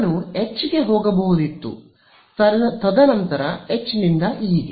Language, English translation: Kannada, I could have also gone from H and then from H to E